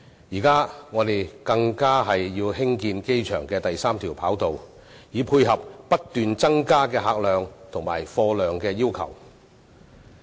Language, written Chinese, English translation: Cantonese, 現在我們更要興建機場第三條跑道，以配合不斷增加的客貨量要求。, Now we even plan to build a third runway at the airport to cope with increasing demand for passenger and cargo traffic